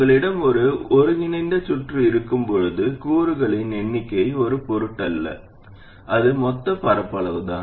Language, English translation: Tamil, When you have an integrated circuit, the number of transistors doesn't matter